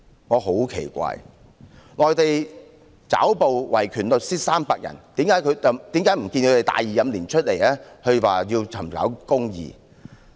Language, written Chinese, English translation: Cantonese, 我很奇怪，內地抓捕維權律師300人，為何不見他們大義凜然地公開說要尋找公義？, When the Mainland arrested 300 human rights lawyers why did I not hear any of them speaking righteously in public in quest for justice?